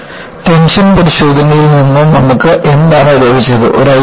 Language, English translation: Malayalam, So, what have we got from the tension test